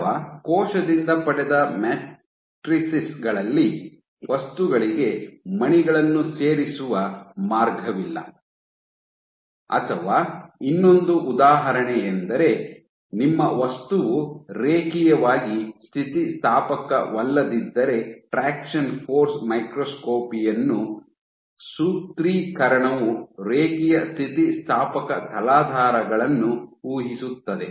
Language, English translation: Kannada, Or let us say on cell derived matrices, so where there is no way of adding beads into the material, or one more example is if your material is non linearly elastic because the formulation for traction force microscopy assumes linear elastic substrates